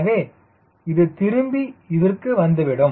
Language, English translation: Tamil, so this will come back to this reverse